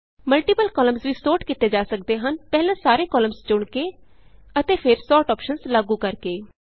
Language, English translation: Punjabi, Let us Undo the changes Multiple columns can be sorted by first selecting all the columns and then applying the sort options